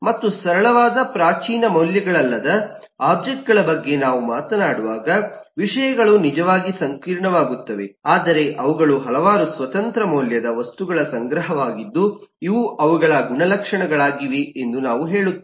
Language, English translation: Kannada, and things really get complex when we talk about objects, which is not simple primitive types of values, but they are composition of, they are collection of several independent value items which we say are properties